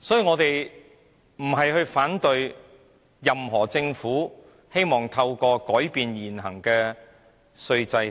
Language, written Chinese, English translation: Cantonese, 我們並非要反對政府改變現行稅制。, We are not raising objection to the Governments attempt to revise the existing tax regime